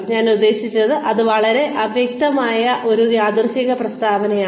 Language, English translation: Malayalam, I mean that is such a vague random statement